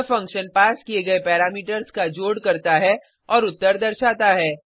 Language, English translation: Hindi, This function does the addition of the passed parameters and returns the answer